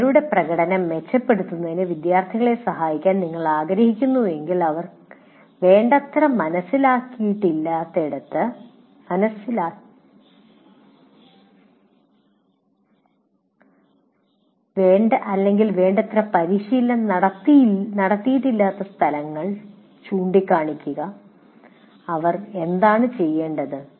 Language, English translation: Malayalam, You would like to help the students in improving their performance or wherever point out where they have not adequately understood or where they have not adequately practiced, what is it they should do